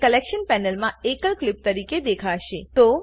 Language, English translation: Gujarati, It will be visible as a single clip in the collection panel